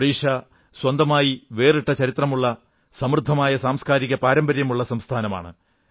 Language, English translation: Malayalam, Odisha has a dignified historical background and has a very rich cultural tradition